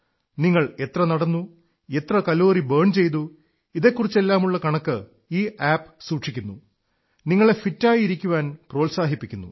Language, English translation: Malayalam, This is a fitness app and it keeps a track of how much you walked, how many calories you burnt; it keeps track of the data and also motivates you to stay fit